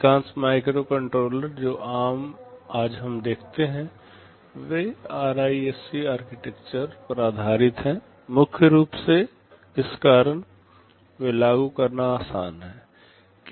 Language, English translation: Hindi, Most of the microcontrollers that we see today they are based on the RISC architecture, because of primarily this reason, they are easy to implement